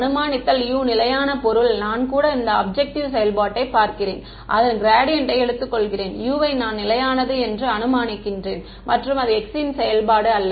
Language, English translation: Tamil, Assuming U constant means that even I look at this objective function and I take its gradient I assume U to be constant and not a function of x